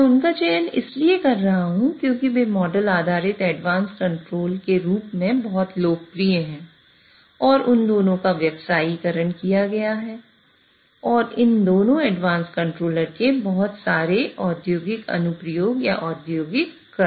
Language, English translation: Hindi, The reason I am selecting those are because they are very popularly, they are very popular in terms of model based advanced control and both of them have been commercialized and there are a lot of industrial application or industrial implementations of both these advanced controllers